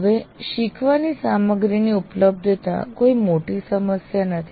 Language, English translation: Gujarati, Generally these days availability of learning material is not a big issue